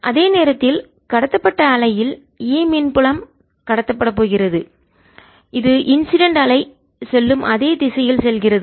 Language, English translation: Tamil, there is is going to be e transmitted and it is going in the same direction as the incident wave